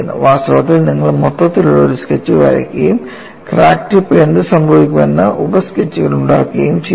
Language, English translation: Malayalam, In fact, you make an overall sketch and make sub sketches what happens at the crack tip